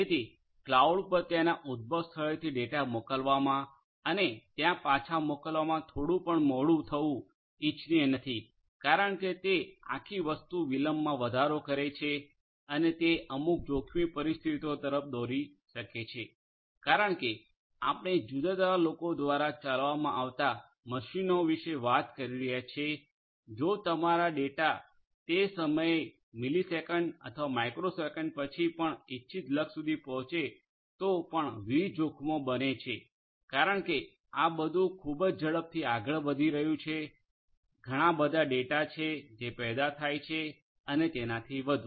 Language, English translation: Gujarati, So, it is not quite desirable to have any delay in sending the data from the point of origination to the cloud processing it over there and sending it back because the whole thing will add to the delay and that might lead to certain hazardous situations because we are talking about machines being operated by different different people, different hazards will happen even if your data reaches, the intended you know destination after maybe even a millisecond or a microsecond by that time maybe the hazard will happen, because everything is moving very fast you know lot of data are getting generated and so on